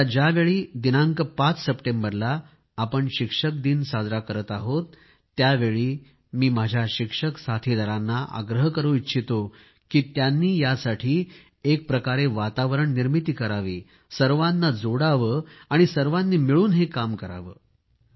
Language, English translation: Marathi, With Teachers day to be observed on September 5th, I call upon all our teacher friends to start preparing and join hands to create an environment bringing everyone into its fold